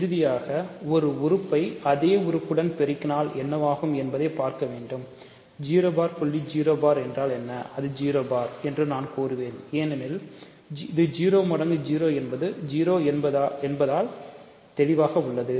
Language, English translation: Tamil, And finally, I need to multiply an element with itself what is 0 bar dot 0 bar, that I claim is 0 bar right, that is clear because 0 time 0 is 0